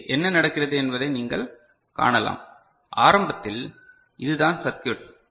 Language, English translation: Tamil, So, here what is happening you can see, that in the beginning this is the circuit